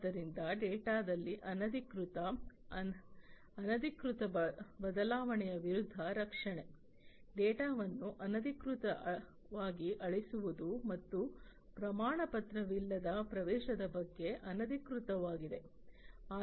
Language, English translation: Kannada, So, protection against unauthorized, unofficial change in the data; unauthorized on unofficial deletion of the data and uncertified access